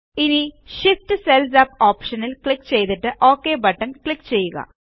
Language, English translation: Malayalam, Now click on the Shift cells up option and then click on the OK button